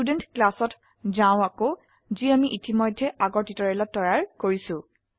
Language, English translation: Assamese, Let us go back to the Student class which we have already created in the earlier tutorial